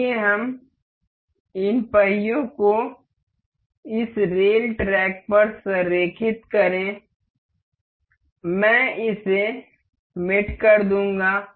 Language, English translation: Hindi, Let us just align these wheels to this rail track; I will make it mate